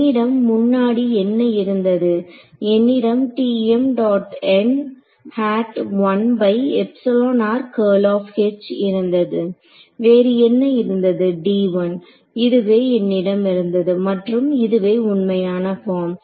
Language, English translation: Tamil, So, what did I have earlier I had Tm dot n hat 1 by epsilon r curl of H what else d l this is what I had earlier and this is the exact form